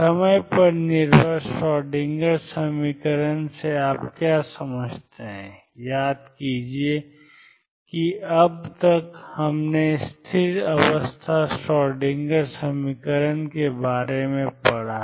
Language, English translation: Hindi, What do you mean by time dependent Schroedinger equation recall that so far, we have dealt with stationary state Schroedinger equation